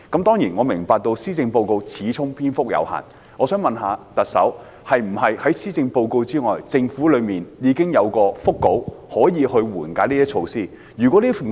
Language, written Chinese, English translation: Cantonese, 當然，我明白施政報告始終篇幅有限，我想問特首，在施政報告之外，政府是否已經有緩解措施的腹稿？, I certainly understand that after all the Policy Address has a length constraint . May I ask the Chief Executive whether the Government has already got a draft of the relief measures in mind apart from the Policy Address?